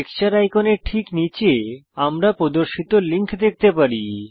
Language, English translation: Bengali, Just below the Texture icon, we can see the links displayed